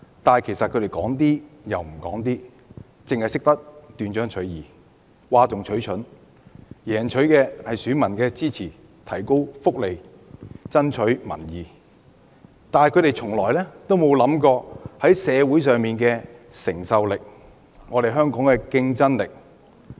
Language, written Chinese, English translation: Cantonese, 但是，他們說話卻只說一半，只懂斷章取義，譁眾取寵，贏取選民支持，增加福利，爭取民意，但從不考慮社會的承受力和香港的競爭力。, However instead of telling the whole story they have spoken out of context and made shocking remarks to win the support of voters . While seeking to increase welfare benefits to win public support they have never considered the affordability of society and the competitiveness of Hong Kong